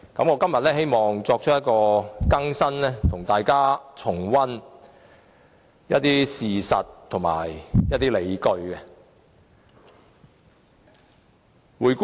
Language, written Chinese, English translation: Cantonese, 我希望今天提出一些新意見，並跟大家重溫一些事實和理據。, Today I would like to share with Members some new views as well as revisit some facts and justifications